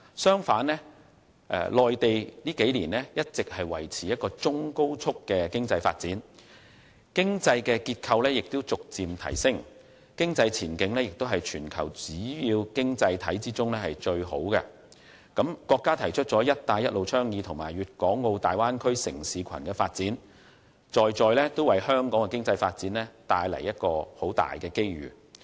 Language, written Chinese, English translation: Cantonese, 相反，內地在這數年一直維持中高速的經濟發展，經濟結構逐漸提升，經濟前景也是全球主要經濟體中最好的，更提出了"一帶一路"倡議和粵港澳大灣區城市群發展，在在為香港的經濟發展帶來龐大機遇。, On the contrary in the past few years the Mainland has been maintaining a medium - high pace of economic growth with gradual improvements in its economic structure and the economic outlook is the best among major economies in the world . What is more it has introduced the Belt and Road Initiative and the development plan for a city cluster in the Guangdong - Hong Kong - Macao Bay Area bringing enormous opportunities for Hong Kongs economic development